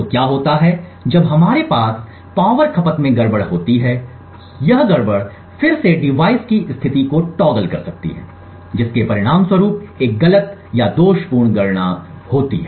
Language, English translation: Hindi, So what happens when we have a glitch in the power consumption is that this glitch or this glitch can again toggle the device state resulting in a wrong or faulty computation